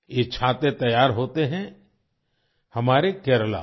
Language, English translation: Hindi, These umbrellas are made in our Kerala